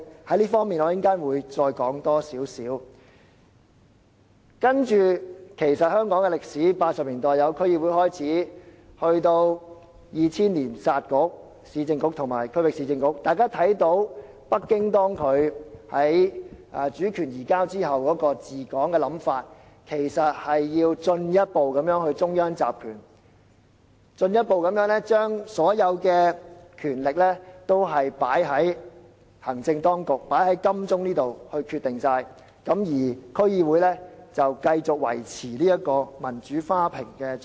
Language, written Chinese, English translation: Cantonese, 事實上，從香港的歷史看，就是自1980年代成立區議會至2000年"殺局"——解散市政局和區域市政局，大家可見北京在主權移交後的治港理念，就是要進一步中央集權，進一步將所有決定權力集中在行政當局——集中在金鐘這地方，而區議會則繼續維持"民主花瓶"的角色。, Actually looking at the history of Hong Kong between the setting up of District Boards in the 1980s and the scrapping of the two Municipal Councils in 2000―the dissolution of the former Urban Council and the Regional Council we can see that Beijings ideology in governing Hong Kong after the transfer of sovereignty was to ensure further concentration of powers and to rally all decision - making powers further in the hands of the executive authorities here in Admiralty so that District Councils DCs would continue to serve as a vase showcasing democracy